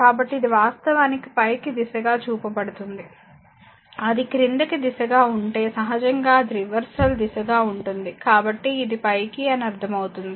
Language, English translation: Telugu, So, this is actually your upward direction is shown, if it is downward direction then naturally it will be reversal direction will be in other way so, this is the meaning that your upward